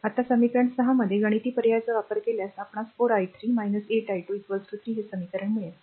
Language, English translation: Marathi, So, if you go to the equation ah 6 ah ah this equation your this 4 i 3 minus 8 i 2 is equal to 3